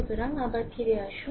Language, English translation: Bengali, So, come back again